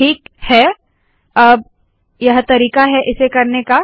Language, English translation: Hindi, So we will do this as follows